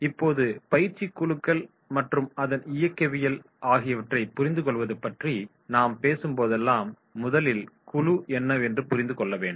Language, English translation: Tamil, Now, whenever we are talking about the understanding the training groups and its dynamics, so first we have to understand that is what is the group